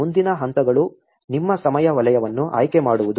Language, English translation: Kannada, The next steps will be just selecting your time zone